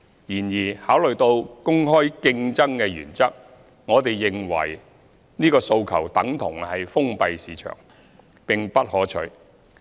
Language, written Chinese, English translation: Cantonese, 然而，考慮到公開競爭的原則，我們認為此訴求等同封閉市場，並不可取。, However having regard to the principle of open competition we consider this request tantamount to suggesting a closed market which is not desirable